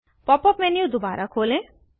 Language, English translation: Hindi, Open the Pop up menu again